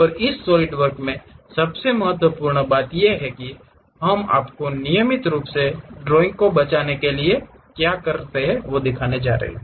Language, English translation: Hindi, And the most important thing throughout this Solidworks practice what we are going to do you have to regularly save the drawing